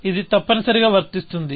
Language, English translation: Telugu, So, it must be applicable